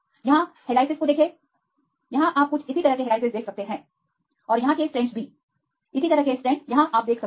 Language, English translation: Hindi, See this helices here you can see some similar type of helices and the strands here similar type of strands here